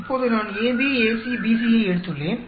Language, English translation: Tamil, Now, I picked the AB, AC, BC